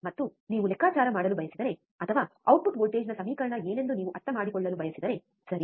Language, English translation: Kannada, And if you want to calculate, or if you want to understand what was the equation of the output voltage, right